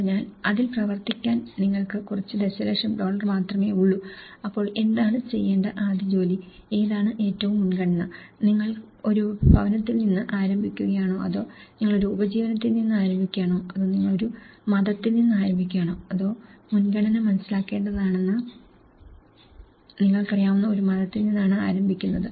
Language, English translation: Malayalam, So, which one you have only a few million dollars to work on it so, then what is the first task to work, which are the most priority, is it you start with a home or you start with a livelihood or you start with a religion you know that’s priority has to be understood